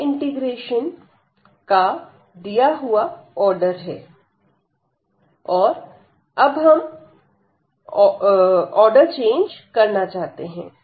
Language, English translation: Hindi, So, this was the given order of the integration, and now we want to change the order